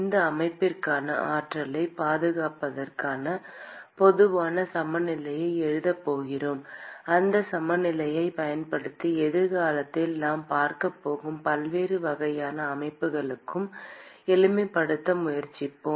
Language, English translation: Tamil, And then we are going to write a general balance for conservation of energy for this system; and we will use that balance and try to simplify for different kinds of systems that we are going to look into in the future